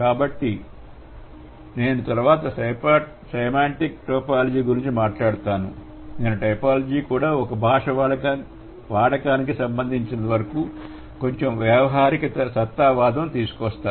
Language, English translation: Telugu, So, from here onwards, though I would talk about semantic typology, I would bring in a bit of pragmatic typology also, right, as far as the usage of the language is concerned